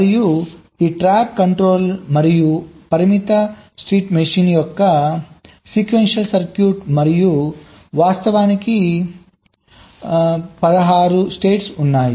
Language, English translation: Telugu, and this tap controller is again ah sequential circuit of final state machine and there are sixteen states actually i am not going to detail